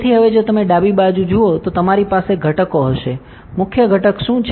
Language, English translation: Gujarati, So, now if you look at the left side you will have components; what is the component main component